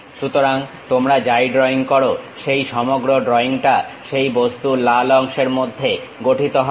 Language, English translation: Bengali, So, whatever you are drawing happens that entire drawing you will be constructed within this red portion of that object